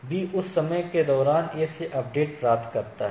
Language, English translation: Hindi, So, if it A receives a update from B during that time